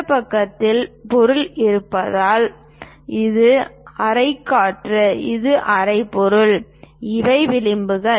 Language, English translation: Tamil, Because there is a material on this side this is the room air and this is the room material, these are the edges